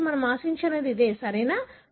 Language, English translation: Telugu, So, this is what we expect, right